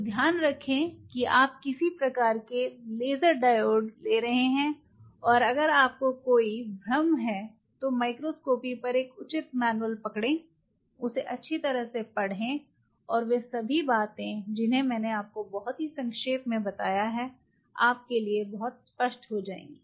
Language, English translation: Hindi, So, keep in mind what kind of laser diodes your getting and if you have any confusion grab proper manual on microns copy read through them, and all those very nut shell what I have told you will be very clear to you what I am trying to tell you